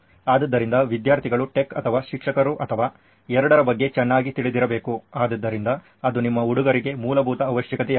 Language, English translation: Kannada, So students have to be well versed with tech or the teacher or both, so that would be a basic requirement for you guys